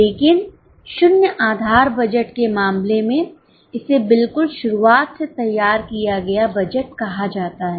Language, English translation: Hindi, But in case of zero base budget it is called as budgeting from scratch